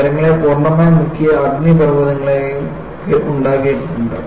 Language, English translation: Malayalam, And, there have also been volcanoes, which totally submerge the cities